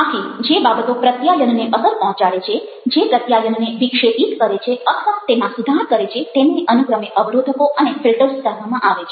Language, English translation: Gujarati, so the things which affects communication, which disrupt or modify communication, have to be understood as filters and barriers